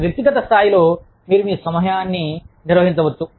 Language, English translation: Telugu, At the individual level, you could manage your time